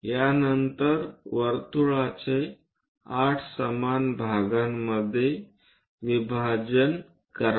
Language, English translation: Marathi, After that, divide the circle into 8 equal parts